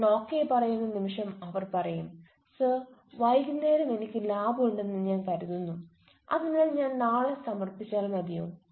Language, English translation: Malayalam, the moment i say yeah you can then they say sir in the evening i have lab so can i come tomorrow